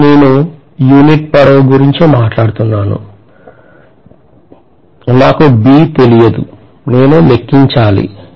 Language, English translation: Telugu, Here I am talking about unit length, I do not know B, I have to calculate